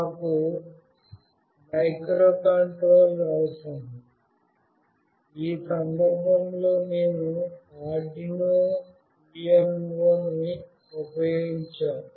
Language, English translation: Telugu, We of course require a microcontroller; in this case we have used the Arduino UNO